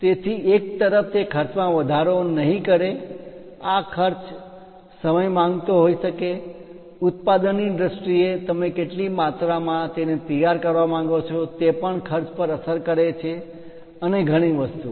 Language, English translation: Gujarati, So, that on one side it would not increase the cost this cost can be time consuming it can be in terms of monetary things, in terms of production how much how many quantities you would like to ah prepare it that also cost and many things